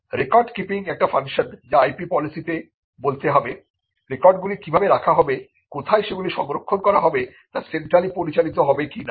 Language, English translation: Bengali, Record keeping is a function which has to be enumerated in the IP policy how the records will be kept and where they will be stored, whether it will be centrally managed